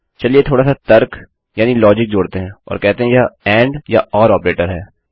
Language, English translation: Hindi, Lets add a bit of logic and say its the and or the horizontal line operator